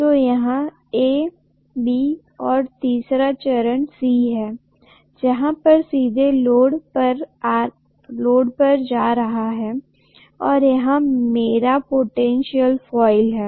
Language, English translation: Hindi, So this is A, this is B, and the third phase C is directly going to the load and here is my potential coil